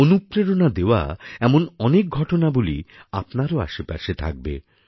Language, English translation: Bengali, Your surroundings too must be full of such inspiring happenings